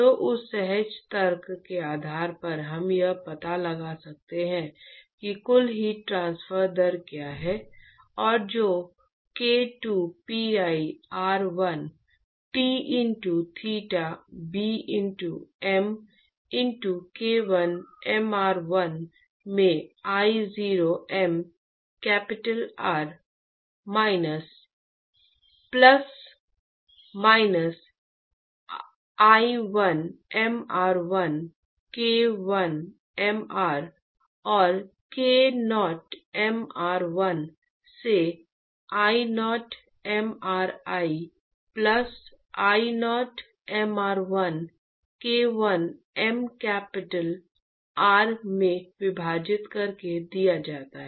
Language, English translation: Hindi, So, based on that intuitive argument we could find out what is the total heat transfer rate and that is given by k 2pi r1 t into theta b into m into K1 mr1 into I0 m capital R plus minus I1 mr1 K1 mR divided by K0 mr1 I0 mRI plus I0 mr1 into K1 m capital R